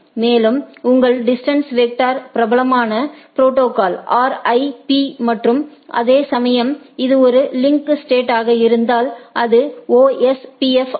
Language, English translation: Tamil, And, the popular protocol for your distance vector is RIP and whereas, this in case of a link state it is OSPF